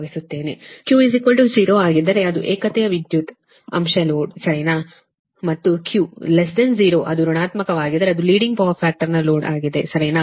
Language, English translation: Kannada, if q is equal to zero, it is unity power factor load, and if q is negative, that is, less than zero, it will be in leading power factor load